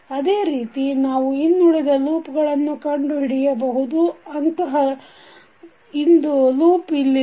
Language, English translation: Kannada, Similarly, we can find other loops also, one such loop is this one